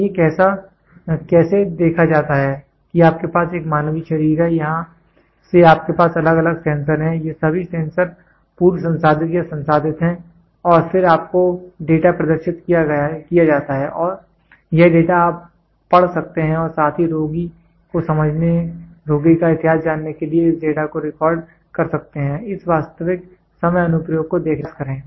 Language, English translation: Hindi, So, how are these see you have a human body from here you have different sensors, all these sensors are pre processed or processed and then you get the data displayed and this data you can read as well as record this data for patient to understand the patient history try to look at this real time application